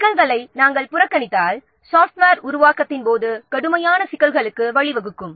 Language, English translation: Tamil, If you will ignore these issues, that will lead to severe problems during the software development